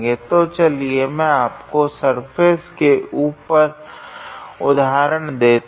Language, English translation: Hindi, So, let me give you an example over the surface